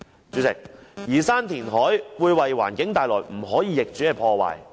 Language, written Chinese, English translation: Cantonese, 主席，移山填海會為環境帶來不可逆轉的破壞。, Chairman moving mountains and filling up seas will bring about irreversible damage to the environment